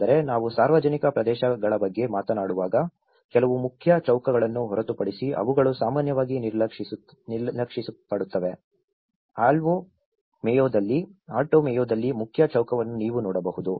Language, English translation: Kannada, But, when we talk about the public areas, they are often neglected except a few main squares was what you can see is a main square in Alto Mayo